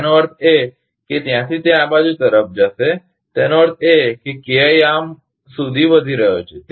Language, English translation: Gujarati, That means, from there it will shift to this side; that means, KI is increasing up to this